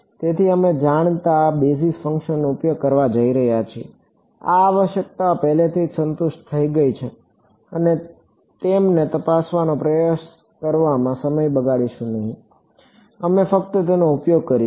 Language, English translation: Gujarati, So, we are going to use well known basis functions, these requirements have already been satisfied we will not waste time in trying to check them, we will just use them